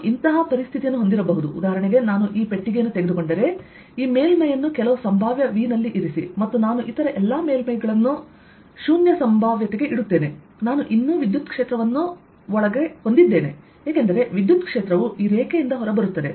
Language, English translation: Kannada, i may have a situation, for example, if i take this box, put this surface at some potential v and i put all the other surfaces at zero potential, i'll still have electric field inside because electric field will be coming out of this line